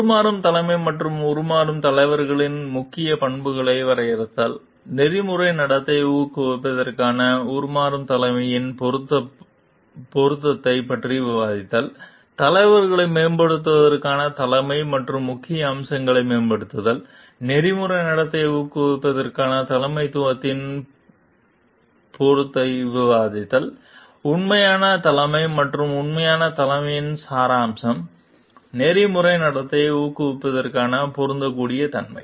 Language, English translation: Tamil, Defining transformational leadership and core characteristics of transformational leaders, discussing the suitability of transformational leadership for promoting ethical conduct, empowering leadership and key features of empowering leaders, discussing the suitability of empowering leadership for promoting ethical conduct, authentic leadership and essence of authentic leadership, suitability for encouraging ethical conduct